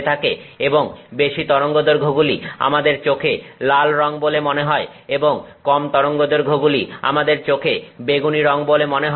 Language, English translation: Bengali, And the longer wavelengths appear to our eye as red color and the shorter wavelengths appear to our eye as violet color and that's how you get the range of colors